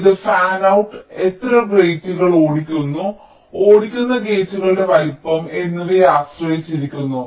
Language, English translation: Malayalam, it depends on the fan out, how many gates it is driving and also the size of the driven gates